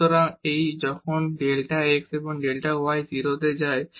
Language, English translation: Bengali, So, this when delta x and delta y goes to 0